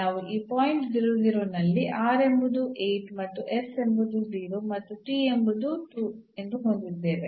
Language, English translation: Kannada, So, we have at this point r is 8, s is 0 and t is 2 at the 0